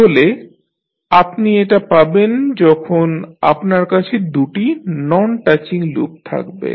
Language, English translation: Bengali, So, this what you will get when you have two non touching loops